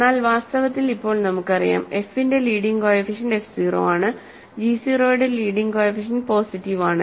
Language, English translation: Malayalam, But we know the leading coefficient of f is positive leading coefficient of g is positive